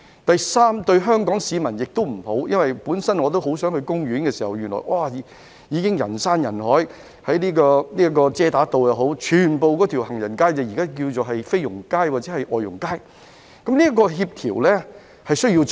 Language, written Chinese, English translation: Cantonese, 第三，對香港市民亦不好，因為他們原本想到公園逛逛，但那裏人山人海，而在假日時，整條遮打道擠滿外傭，有人稱這街道為"菲傭街"或"外傭街"，當局需要進行協調工作。, Thirdly it is not good to the people of Hong Kong either since they originally wish to take a walk in the park but it is crowded with people and during public holidays the whole Chater Road is packed with FDHs . Some people call this the Street of Filipino Domestic Helpers or the FDH Street . The authorities need to do coordination work